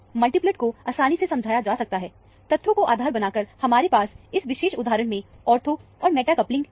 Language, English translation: Hindi, The multiplets can be easily explained, based on the fact, you have ortho and meta couplings, in this particular instance